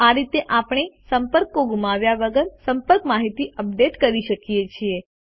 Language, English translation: Gujarati, This way we can update the contacts without losing contact information